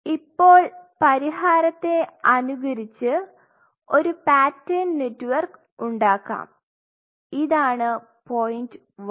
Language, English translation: Malayalam, Now, solution could be mimicked and form a pattern network point 1